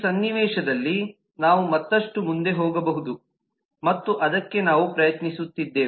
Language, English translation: Kannada, in this context we can go further and that is our endeavor to do so